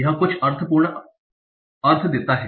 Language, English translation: Hindi, It contains some semantic meaning